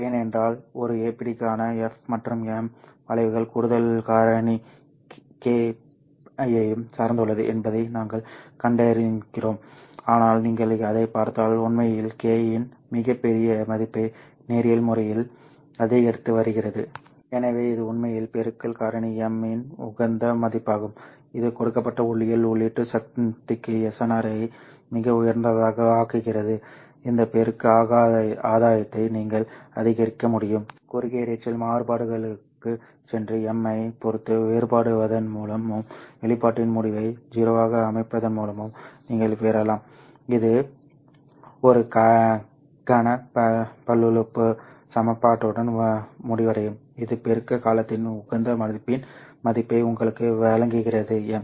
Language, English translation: Tamil, However, larger multiplicative gain also has some effect on the excess noise factor F because we have seen that f versus m curves for a pd depend also of course on the additional factor k but in case you look at it they are actually linearly increasing so for larger value of k so it is actually a optimum value of the multiplication factor m which makes the s nr highest for a given optical input power you can maximize this multiplicative gain which you can obtain by going back to the short noise variance and then differentiating that with respect to m and setting the result in expression to zero you will end up with a cubic polynomial equation which gives you the value of optimum value of the multiplicative term m